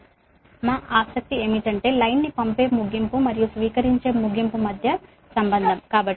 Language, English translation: Telugu, right, but our interest is the relation between the sending end and receiving end of the line